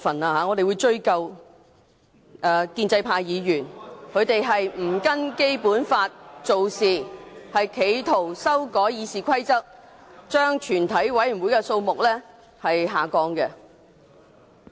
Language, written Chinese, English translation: Cantonese, 我們會追究建制派議員不按照《基本法》做事，企圖修改《議事規則》，將全體委員會的法定人數下調。, We will hold pro - establishment Members responsible for their non - compliance with the Basic Law and attempt to amend RoP for the purpose of reducing the quorum for the committee of the whole Council